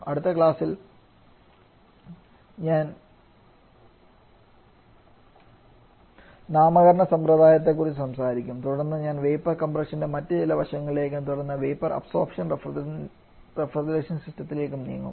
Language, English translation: Malayalam, I would like to stop here itself in the next class I shall have talking about the naming convention and then I shall be moving to a few other aspects of vapour compression and subsequent the vapour absorption refrigeration system